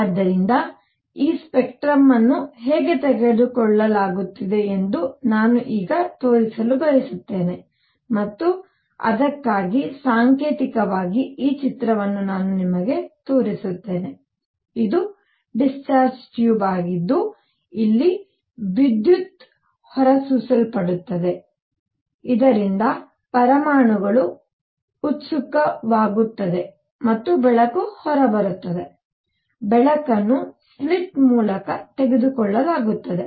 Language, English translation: Kannada, So, what I want to show now how is this spectrum taken and for that symbolically, I show you this picture where the light is coming from a; this is discharge tube where electricity is discharged so that the atoms get excited and light comes out, the light is taken through a slit